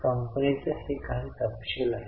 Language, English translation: Marathi, This is some details